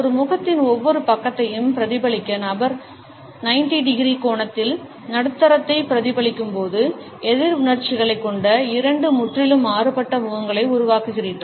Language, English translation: Tamil, When the person mirror down the middle at an angle of 90 degrees to reflect each side of a face you produce two completely different faces with opposite emotions